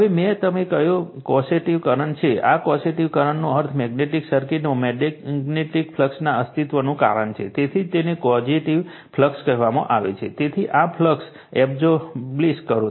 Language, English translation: Gujarati, Now, which is the causative current I told you, this causative current means cause of the existence of a magnetic flux in a magnetic circuit right that is why we call it is a causative current, so establishing this flux